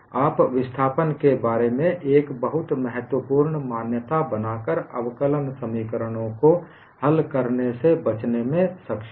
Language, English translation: Hindi, You are able to avoid solving differential equations by making a very important assumption about the displacements